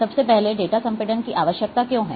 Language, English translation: Hindi, First of all, why data compression is required